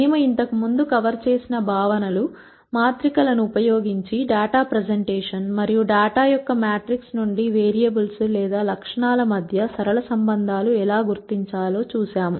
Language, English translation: Telugu, The concepts that we covered previously are data presentation using matrices and from matrix of data, we saw how to identify linear relationships if any, among the variables or attributes